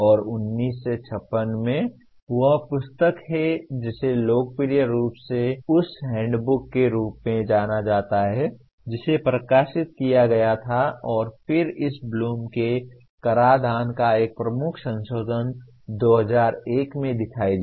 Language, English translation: Hindi, And in 1956 that is the book it is popularly known as handbook that was published and then a major revision of this Bloom’s taxonomy appeared in 2001